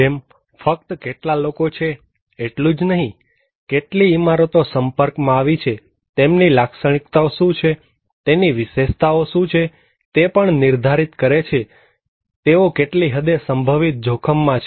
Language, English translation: Gujarati, Like, it is not only that how many people, how many buildings are exposed, but what are their characteristics, what are their features also define that what extent they are potentially at risk